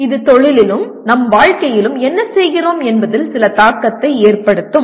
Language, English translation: Tamil, Which can have some impact on what we are doing both in our profession as well as in our life